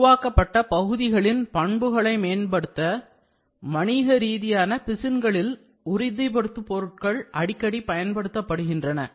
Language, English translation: Tamil, Toughening agents are used frequently in commercial resins to improve mechanical properties of the fabricated parts